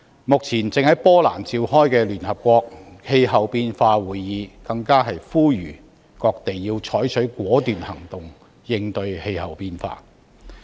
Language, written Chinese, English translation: Cantonese, 目前正在波蘭召開的聯合國氣候變化會議，更呼籲各地要採取果斷行動應對氣候變化。, At the United Nations Climate Change Conference being held in Poland all participating parties are urged to take decisive actions to address the problem of climate change